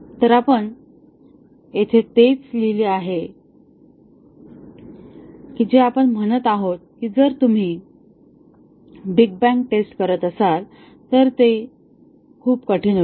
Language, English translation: Marathi, So, we have written here the same thing that we are saying that it becomes very difficult if you are doing a big bang testing